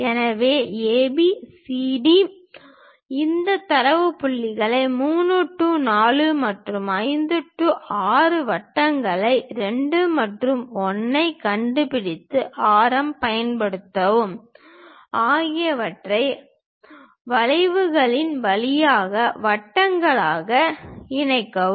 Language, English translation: Tamil, So, construct AB CD transfer these data points 3 4 and 5 6 locate centers 2 and 1, use radius, join them as circles through arcs